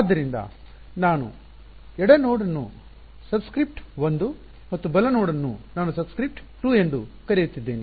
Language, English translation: Kannada, So, those the left node we are calling as with subscript 1 and the right node I am calling subscript 2